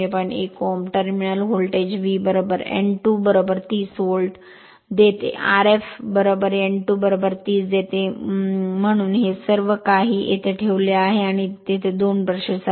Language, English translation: Marathi, 1 Ohm, terminal voltage V is given 230 volt, R f is given 230 Ohm therefore, all this everything, you put here and there are 2 brushes